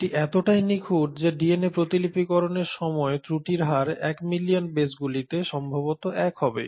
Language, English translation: Bengali, So much so that the error rate at the time of DNA replication will be probably 1 in say 10 million bases